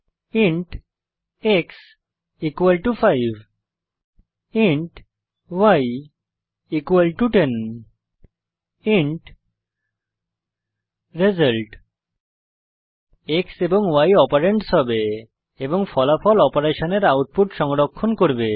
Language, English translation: Bengali, int x = 5 int y = 10 int result x and y will be the operands and the result will store the output of operations